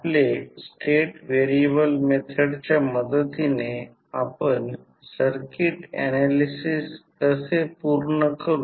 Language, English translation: Marathi, Now, let us start our discussion related to state variable method to our circuit analysis